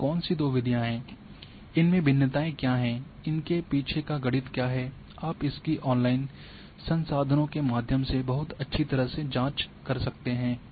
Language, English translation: Hindi, Which are those two methods, what are the variations, what are the mathematics behind that these, that you can check very well through online resources